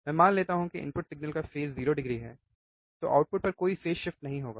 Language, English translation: Hindi, When I assume that this is a 0 degree phase, then at the output I will have no phase shift